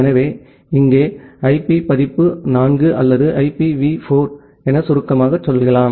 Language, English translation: Tamil, So, here we look into the IP version 4 or IPv4 as we call it in short